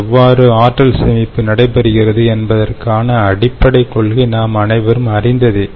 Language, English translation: Tamil, i i mean the basic principle as to how this energy storage is taking place is is known to us